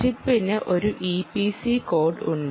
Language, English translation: Malayalam, chip has what is known as a e p c code